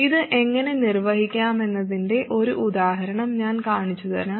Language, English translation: Malayalam, I will show you one example of how to accomplish this